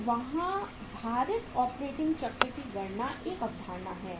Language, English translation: Hindi, So there is a concept of calculating weighted operating cycle